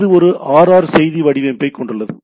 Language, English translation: Tamil, So, this comprises a RR message format